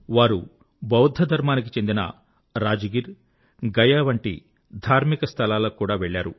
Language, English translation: Telugu, He also went to Buddhist holy sites such as Rajgir and Gaya